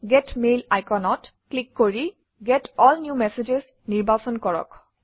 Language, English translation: Assamese, Click the Get Mail icon and select Get All New Messages